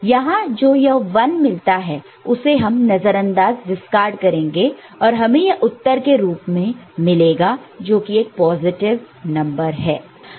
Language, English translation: Hindi, So, this 1 that is you are getting here we discard it and this is what you get and the answer we know that it is negative